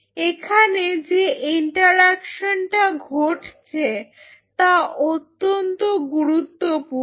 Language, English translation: Bengali, This interaction what will be happening here is very critical